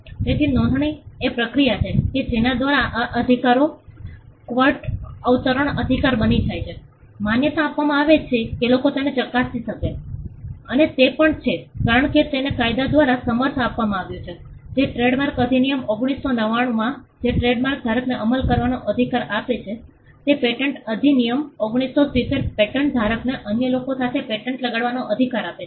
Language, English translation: Gujarati, So, registration is the process by which these rights become quote unquote official, it is recognized people can verify it and it is also because, it is backed by a law the trade marks act of 1999 is what gives the trademark holder a right to enforce it the patents act 1970 gives the patent holder a right to enforce a granted patent against others